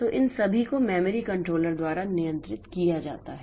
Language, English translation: Hindi, So, all these are controlled by the memory controller